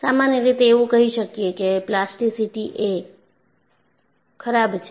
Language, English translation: Gujarati, In general, you may say plasticity is bad